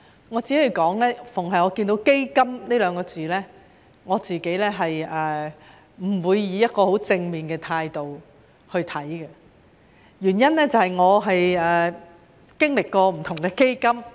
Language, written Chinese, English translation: Cantonese, 我每逢看到"基金"這兩個字，也不會以一個十分正面的態度看待，原因是我經歷過不同的基金。, Whenever I see the word fund I tend not to adopt a very positive attitude towards it because of my previous experiences with different funds